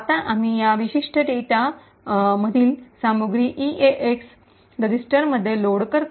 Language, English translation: Marathi, Now, we load the contents of that global data into EAX register